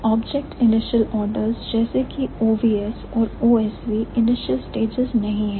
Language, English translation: Hindi, And object initial orders like OVS and OSV are not the initial stages